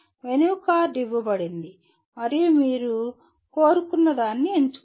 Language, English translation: Telugu, That is a menu card is given and then you pick what you want